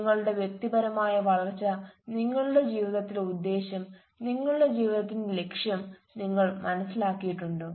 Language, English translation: Malayalam, so your personal growth your purpose in life have you realized our purpose of your life